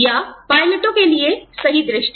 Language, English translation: Hindi, Or, perfect eyesight for pilots